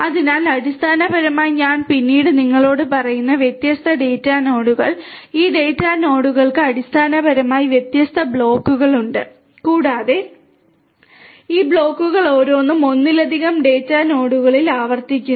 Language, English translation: Malayalam, So, basically the different data nodes which I will tell you later on, this data nodes basically have different blocks and each of these blocks is replicated across multiple data nodes